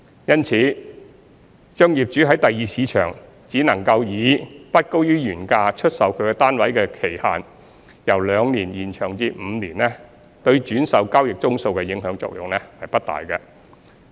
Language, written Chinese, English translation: Cantonese, 因此，把業主於第二市場只能以不高於原價出售其單位的期限，由兩年延長至5年，對轉售交易宗數的影響作用不大。, Hence extending the restriction period of reselling at not more than the original price in the Secondary Market from two years to five years will not have much effect on the number of transactions